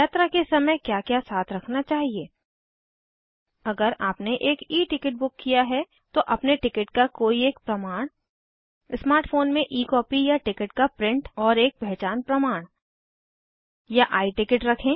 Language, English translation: Hindi, What to carry during travel ,if you book an E ticket any one proof of your ticket and E copy in your smart phone or a print out of the ticket and an identity card Or take the i ticket